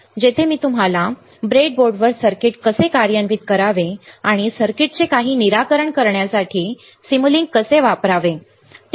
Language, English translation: Marathi, After that will have experiment classes where I will show you how to implement the circuit on breadboard, and how to use simulink to solve some of the to solve of the circuits ok